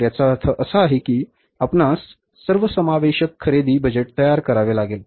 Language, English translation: Marathi, So, it means you have to prepare a comprehensive purchase budget